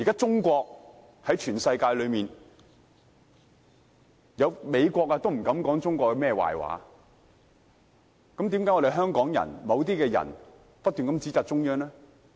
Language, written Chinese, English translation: Cantonese, 現時連美國也不敢說中國的壞話，為何某些香港人卻不斷在指摘中央？, Today even the United States dares not badmouth China how come some Hong Kong people keep hurling criticisms at the Central Authorities?